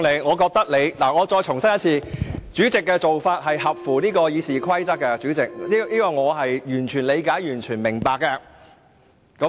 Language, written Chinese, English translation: Cantonese, 我再次重申，我認為你的做法符合《議事規則》的規定，而我亦對此完全理解和明白。, Let me reiterate I think your act is in compliance with RoP and I fully appreciate and understand your point